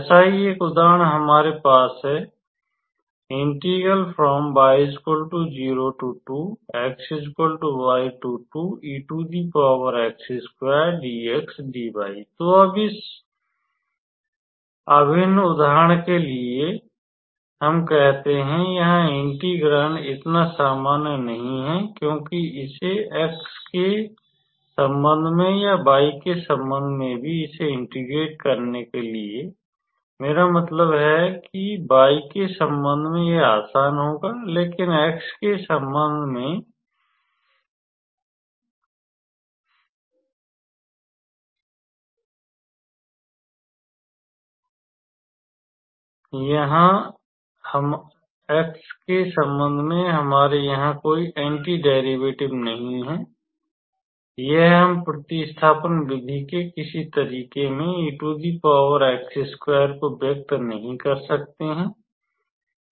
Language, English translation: Hindi, So, now this integral let us say for example, here the integrand is not so common because in order to integrate this even with respect to x or with respect to with respect to y, I mean with respect to y it will be easy; but with respect to x we do not have any anti derivatives here or we cannot express e to the power x square in some method of substitution way